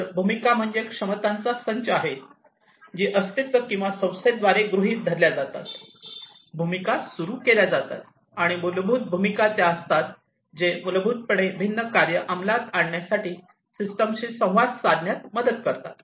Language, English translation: Marathi, So, the role is the set of capacities that are assumed by an entity or an organization, the roles are initiated, and roles are basically the ones, which basically help in interacting with the system for the execution of the different tasks